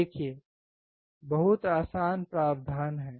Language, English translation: Hindi, See there is a very easy provision